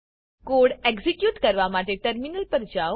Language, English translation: Gujarati, To execute the code, go to the terminal